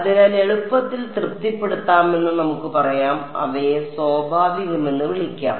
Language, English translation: Malayalam, So, we can say that easily satisfy let us call them natural